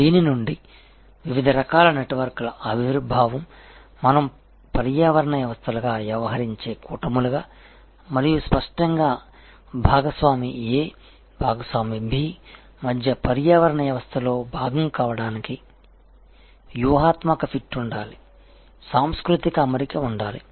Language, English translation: Telugu, From this therefore, we see the emergence of different types of networks acting as alliances acting as ecosystems and; obviously, to be a part of the ecosystems between partner A partner B, there has to be strategic fit, there has to be a cultural fit